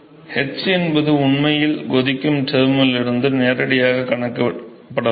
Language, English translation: Tamil, So, h is actually can actually can be directly calculated from the boiling term